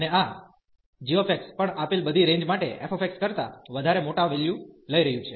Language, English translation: Gujarati, And also this g x is taking even larger values then f x for all the given range